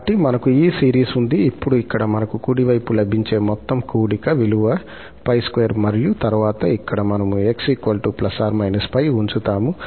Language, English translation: Telugu, So, we have this series, now at this here, what we get the right hand side means the sum is pi square and then here, we will put x equal to plus minus pi